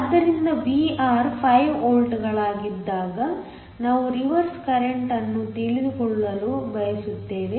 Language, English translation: Kannada, So, we want to know the reverse current, when Vr is 5 volts